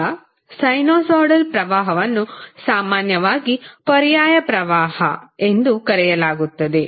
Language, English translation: Kannada, Now, sinusoidal current is usually referred to as alternating current